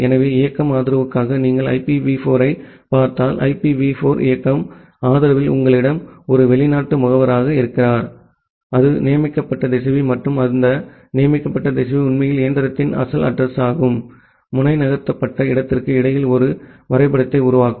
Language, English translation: Tamil, So, if you look into the IPv4 for mobility support, in IPv4 mobility support you have a foreign agent, that is a designated router and that designated router will actually make a mapping between the original address of the machine and the when the node has moved to a different subnet the new address corresponds to this mobility location